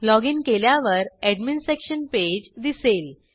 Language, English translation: Marathi, As soon as we login, we can see the Admin Section page